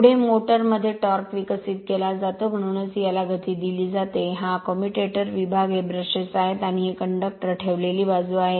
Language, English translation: Marathi, Next is torque developed in a motor; so this is also that you are what you call this motion is given, this commutator segment, these are brushes and these are the conductor placed side